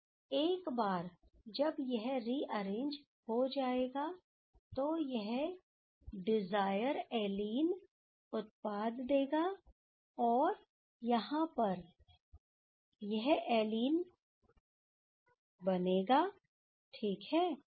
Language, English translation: Hindi, And once it will rearrange, then it will give the desire allene type product, and here it will be these allene ok